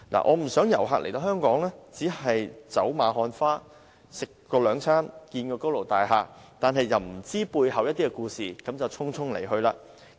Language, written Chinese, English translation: Cantonese, 我不想遊客來到香港只是走馬看花，吃兩頓飯，看看高樓大廈，卻不知道香港背後的故事便匆匆離去。, I do not wish to see visitors coming to Hong Kong just for casual sightseeing have a couple of meals take a glimpse of tall buildings and then take leave without knowing the story of Hong Kong